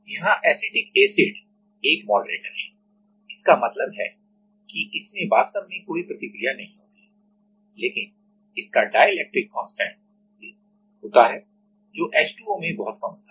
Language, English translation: Hindi, Here the acetic acid is a moderator; that means, that into it actually does not do any reaction, but it has a dielectric constant which is very much lesser than the H2O